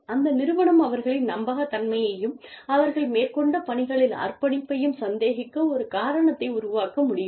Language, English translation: Tamil, That can create a reason, for the organization, to doubt their credibility and commitment to the work, that they have undertaken